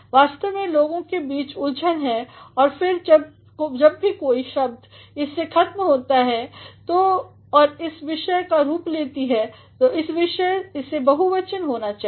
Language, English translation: Hindi, There is actually confusion among people that whenever a word ends in s and this acts as the subject then it should be plural